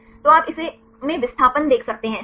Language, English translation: Hindi, So, you can see the displacement this in Å right